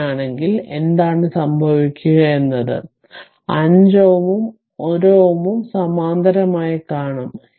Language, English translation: Malayalam, So, in that case, what will happen you will see that 5 ohm and 1 ohm actually are in parallel